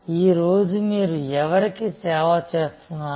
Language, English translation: Telugu, Who are you serving today